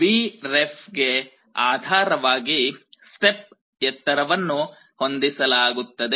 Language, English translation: Kannada, Now, depending on Vref, the step height will be adjusted